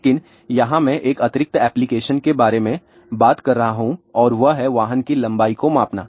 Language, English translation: Hindi, But, here I am talking about one additional application and that is to measure length of the vehicle